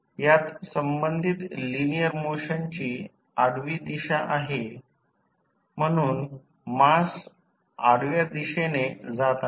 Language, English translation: Marathi, The linear motion concerned in this is the horizontal direction, so the mass is moving in the horizontal direction